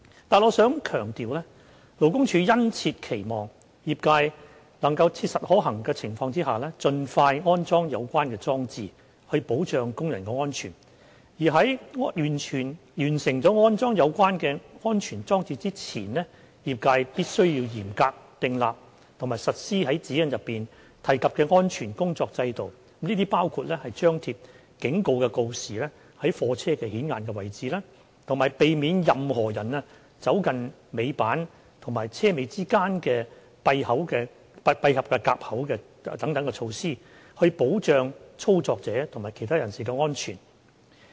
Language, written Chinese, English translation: Cantonese, 但我想強調，勞工處殷切期望業界能在切實可行的情況下盡快安裝有關裝置，以保障工人安全，而在完成安裝有關安全裝置前，業界必須嚴格訂立及實施在《指引》中提及的安全工作制度，包括張貼警告告示於貨車顯眼位置，以及避免任何人走近尾板與車尾之間的閉合夾口等措施，以保障操作者及其他人士的安全。, Nevertheless I want to emphasize that LD earnestly hope that the industry will install the concerned devices in reasonably practicable circumstances as soon as possible in order to protect the safety of tail lift operators . Before completion of the retrofitting the industry must develop and implement in a rigorous manner a safe system of work in accordance with the requirements as stipulated in GN . The safe system of work shall include posting of warning notices conspicuously on the goods vehicles and taking measures to prevent any person from approaching the closing nip between the tail lift and the rear part of the goods vehicles so as to ensure the safety of the operators and other persons